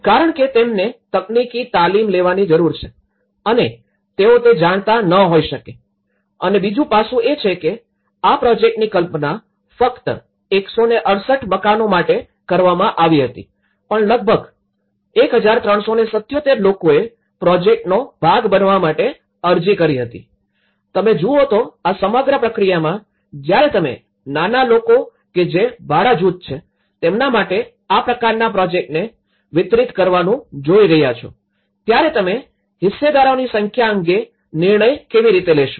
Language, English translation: Gujarati, Because they need to get the technical training and they are not may not be aware of it and the second aspect is this project was only conceived for 168 houses but about 1377 who have applied to be part of the project, see in this process; in the whole process, when you are looking at delivered this kind of project for with the small actors who are the rental group, how will you decide on the number of stakeholders